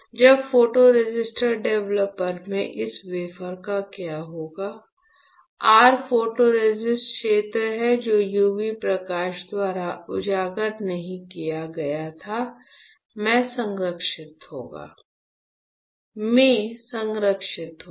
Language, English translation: Hindi, When you develop this wafer in photoresist developer what will happen, you will have your photoresist protected in the area which was not exposed by UV light